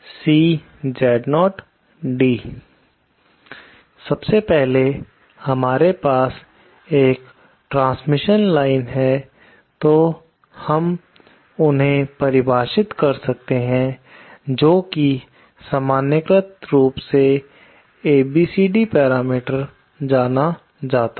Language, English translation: Hindi, 1st of all if we have a transmission line, then we can define what is known as normalised ABCD parameters